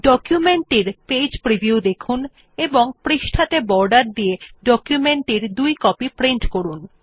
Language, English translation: Bengali, Have a Page preview of the document and print two copies of the document with borders on the page